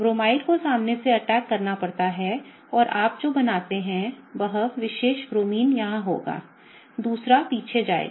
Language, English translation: Hindi, The Bromide has to attack from the front and what you form is, this particular Bromine will be here, the other will be going back